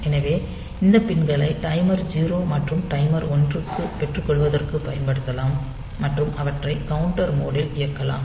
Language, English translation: Tamil, So, this pins can be used for feeding the timer 0, and timer 1 and operating them in the counter mode